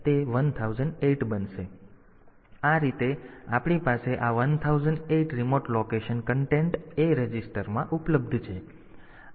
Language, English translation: Gujarati, So, that way we can have this 1008 remote location content available in the a register